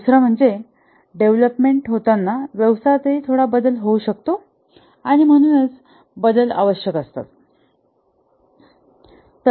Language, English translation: Marathi, The other is that as the development takes place, the business itself might undergo some change and therefore changes will be required